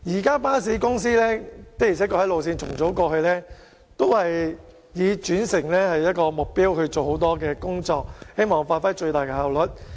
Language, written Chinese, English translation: Cantonese, 過去，巴士公司在路線重組上確實以轉乘為目標，做了很多工夫，期望發揮最大效率。, In the past in the rationalization of bus routes it is true that bus companies had made interchange their goal and exerted a lot of effort to attain the greatest efficiency